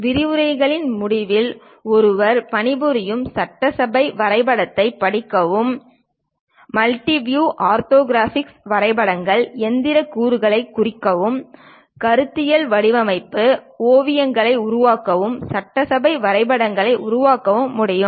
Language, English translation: Tamil, At the end of the lectures, one would be able to read a working assembly drawing, represent mechanical components in multiview orthographics, create conceptual design sketches, and also create assembly drawings